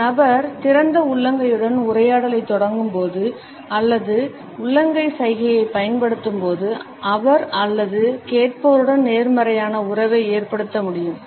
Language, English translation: Tamil, When a person initiates a dialogue with open palm or uses the open palm gesture during the conversations frequently, he or she is able to establish a positive rapport with the listener